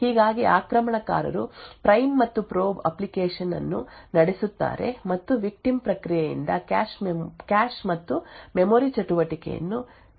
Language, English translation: Kannada, Thus, the attacker runs a prime and probe application and is able to monitor the cache and memory activity by the victim process